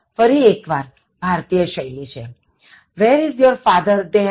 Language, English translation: Gujarati, Again, mostly Indianism, where is your father they have come